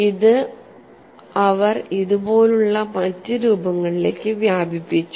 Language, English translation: Malayalam, They have extended this to other shapes also